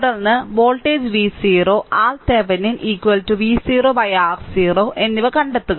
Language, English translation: Malayalam, Then, find the voltage V 0 and R Thevenin is equal to V 0 by R 0